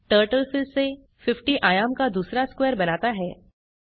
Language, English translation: Hindi, Lets run again Turtle draws another square with dimension 50